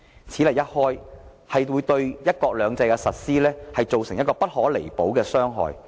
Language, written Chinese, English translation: Cantonese, 此例一開，將對"一國兩制"的實施造成不可彌補的傷害。, Once such a precedent is set irremediable harm will be caused to the implementation of one country two systems